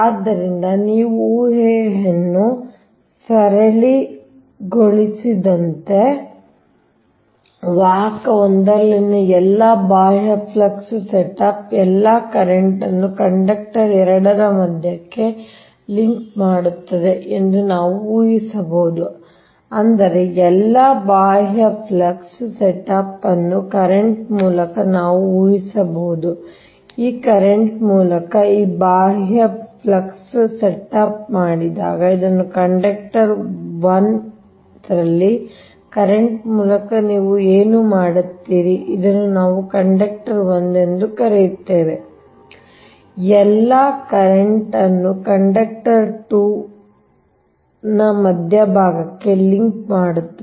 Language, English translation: Kannada, that means we are making an assumption that we can assume that all the external flux setup by current, what when this external flux setup by this current right, it your what you call by by current in conductor one, this one we call conductor one right links all the current up to the centre of the conductor two